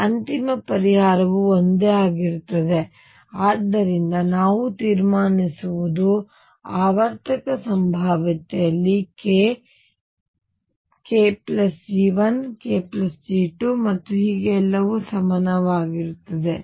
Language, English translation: Kannada, And therefore, the final solution remains the same and therefore, what we conclude is that in a periodic potential k, k plus G 1 k plus G 2 and so on are all equivalent